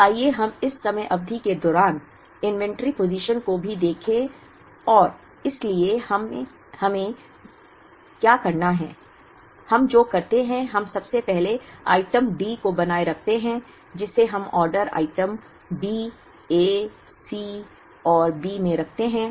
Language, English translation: Hindi, Now, let us also try and look at the inventory positions during this time period, so what we do is we first keep item D we are producing it, in the order item D, A, C and B